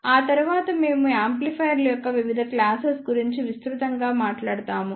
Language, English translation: Telugu, After that we will talk about the various classes of amplifiers in broad way